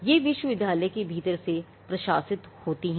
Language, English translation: Hindi, Now, these are administers administered from within the university itself